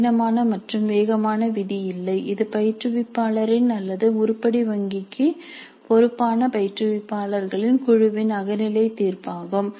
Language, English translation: Tamil, This is a subjective judgment of the instructor or the group of instructors responsible for the item bank